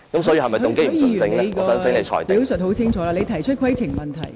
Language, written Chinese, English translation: Cantonese, 許議員，你已清楚提出你的規程問題。, Mr HUI you have made your point of order clearly